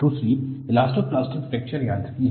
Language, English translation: Hindi, Another one is Elastoplastic Fracture Mechanics